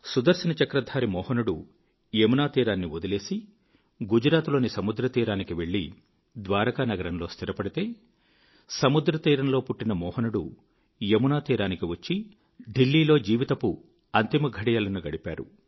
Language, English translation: Telugu, The Sudarshan Chakra bearing Mohan left the banks of the Yamuna for the sea beach of Gujarat, establishing himself in the city of Dwarika, while the Mohan born on the sea beach reached the banks of the Yamuna, breathing his last in Delhi